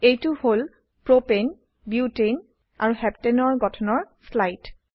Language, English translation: Assamese, Here is slide for the structures of Propane, Butane and Heptane